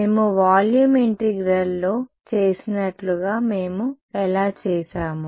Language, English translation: Telugu, Like we did in volume integral how did we